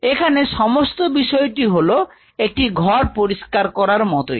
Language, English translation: Bengali, So, the whole concept is like a clean room